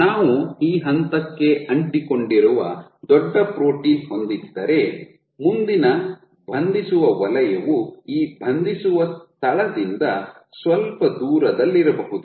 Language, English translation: Kannada, So, if we have a big protein sticking to this point there is a likelihood that the next binding zone will be some distance away from this binding point